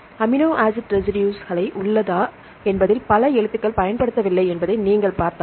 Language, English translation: Tamil, If you see there are several letters which are not used in whether it is amino acid residues